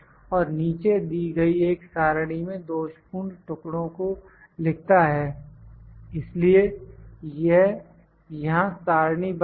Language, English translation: Hindi, And note on the defective pieces in a table given below so it is tabulated here